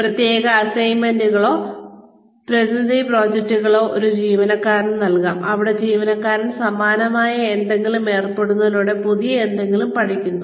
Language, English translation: Malayalam, Special assignments or representative projects, can be given to an employee, where the employee learns something new, by engaging in something similar, not the actual job